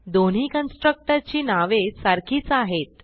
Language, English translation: Marathi, Both the constructor obviously have same name